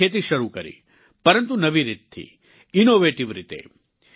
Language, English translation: Gujarati, He started farming, albeit using new methods and innovative techniques